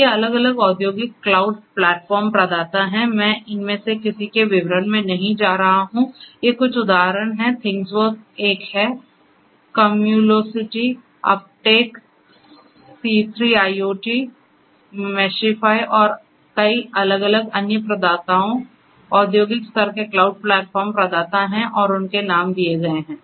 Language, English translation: Hindi, So, these are the different industrial cloud platform providers so you know, so I am not going to through any of them, but so these are these are some of these examples, ThingWorx is one; there are others like Cumulocity, Uptake, C3IoT, Meshify and many different other providers you know industrial level cloud platform providers and their names are given